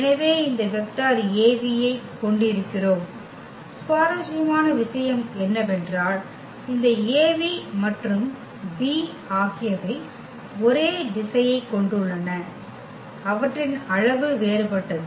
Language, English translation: Tamil, So, we have this vector Av; what is interesting that this Av and v they have the same direction and their magnitudes are different